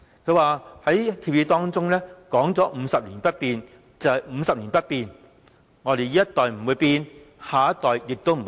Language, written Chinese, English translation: Cantonese, "他在協議中說 "50 年不變，就是50年不變，我們這一代不會變，下一代亦不會變"。, In an agreement he said Hong Kong will remain unchanged for 50 years and we mean this . It will not change in this generation of ours; neither will it change in the next generation